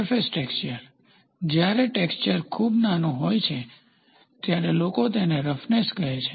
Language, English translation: Gujarati, The surface texture, people say when the texturing is very small, they call it as roughness